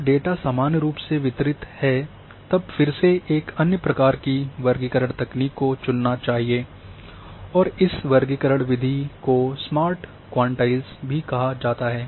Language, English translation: Hindi, When data is normally distributed then again one should choose another type of classification technique and this classification method is also called Smart Quantiles